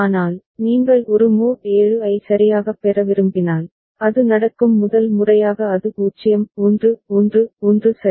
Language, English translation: Tamil, But, if you want to get a mod 7 right, then the first time it is happening it is 0 1 1 1 ok